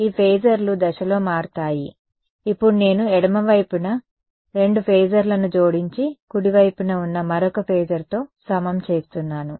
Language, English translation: Telugu, These phasors will change in phase, now I am adding 2 phasors on the left hand side and equating it to another phasor on the right hand side